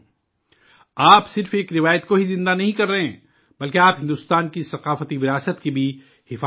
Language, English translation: Urdu, You are not only keeping alive a tradition, but are also protecting the cultural heritage of India